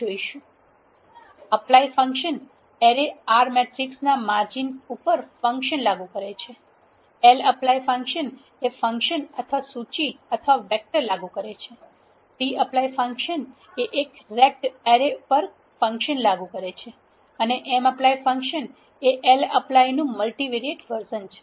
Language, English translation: Gujarati, Apply function applies a function over the margins of an array R matrix, lapply function applies a function or a list or a vector, tapply function applies a function over a ragged array and mapply is a multivariate version of lapply